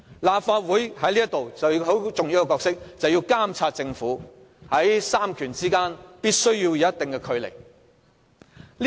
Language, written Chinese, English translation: Cantonese, 立法會其中一個很重要的角色就是監察政府，在三權之間必須保持一定距離。, A very important function of the Legislative Council is to monitor the work of the Government and so a distance must be kept among the three powers respectively